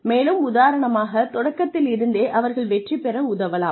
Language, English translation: Tamil, And, in the first instance, help them succeed